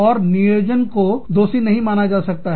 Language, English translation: Hindi, And, planning cannot be sued